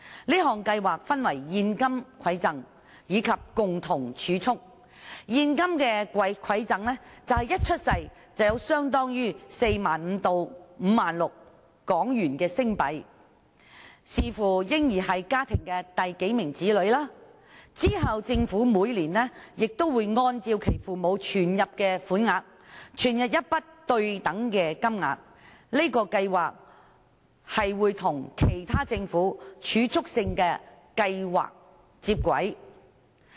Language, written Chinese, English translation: Cantonese, 這項計劃分為現金饋贈和共同儲蓄，現金饋贈便是嬰兒一出生便獲發相當於 45,000 港元至 56,000 港元款項，視乎嬰兒是家中第幾名子女，之後政府每年會根據父母存入的款額，注入對等金額，這個計劃並且會與政府其他儲蓄性計劃接軌。, Insofar as the Cash Gift is concerned each newborn will receive a sum equivalent to HK45,000 to HK56,000 depending on the number of children in the family . Subsequently a corresponding amount of money will be injected by the Government according to the amount of money deposited by the parents . This programme will converge with other savings schemes operated by the Government too